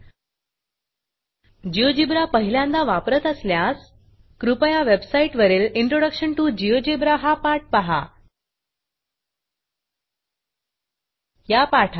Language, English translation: Marathi, If this is the first time you are using Geogebra, please watch the Introduction to GeoGebra tutorial on the Spoken Tutorial website